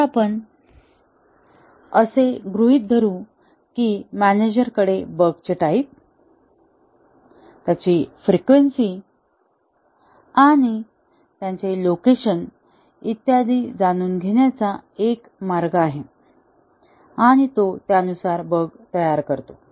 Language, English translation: Marathi, Now, let us assume that, somehow, the manager has a way to know the type of bugs, their frequency, and their location and so on and he seeds the bug accordingly